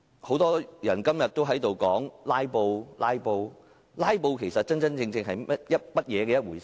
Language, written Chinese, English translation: Cantonese, 很多議員提到"拉布"，其實，真正的"拉布"是怎樣一回事？, Many Members have mentioned filibuster but what actually is filibuster?